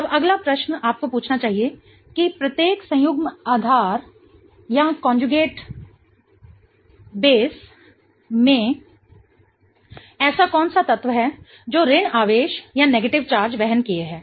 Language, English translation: Hindi, Now the next question you should ask is what is the element in each of the conjugate basis that is bearing the negative charge